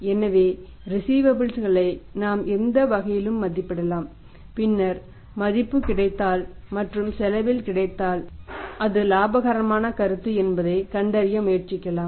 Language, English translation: Tamil, So, we can value the receivables in either way and then try to find out that if value and get at the cost is a paper of a profitable proposition